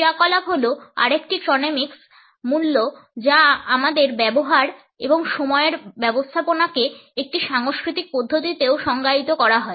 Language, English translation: Bengali, Activity is also another chronemics value our use and manage of time is defined in a cultural manner too